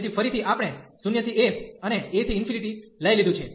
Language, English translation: Gujarati, So, again we have taken 0 to a, and a to infinity